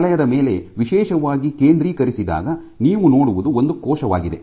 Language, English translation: Kannada, What is particularly focus on this this zone you see the cell